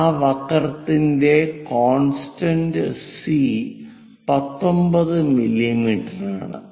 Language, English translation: Malayalam, On that C constant of the curve is 19 mm